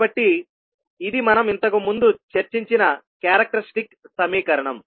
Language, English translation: Telugu, So this would be the characteristic equation which we have already discussed in the past